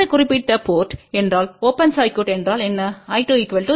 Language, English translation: Tamil, If this particular port is open circuit then I 2 will be equal to 0